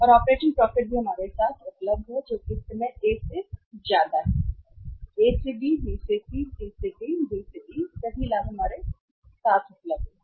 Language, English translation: Hindi, And the operating profits are also available with us that is at the current to A this much and then A to B, B to C, C to D, D to E all the profits are available with us